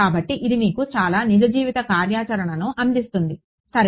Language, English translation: Telugu, So, it gives you a lot of real life functionality ok